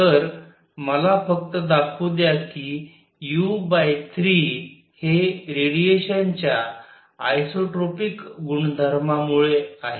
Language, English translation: Marathi, So, let me just point out u by 3 is due to isotropic nature of radiation